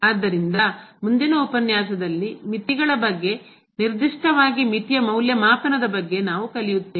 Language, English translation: Kannada, So, in the next lecture, we will learn more on the Limits, the evaluation of the limit in particular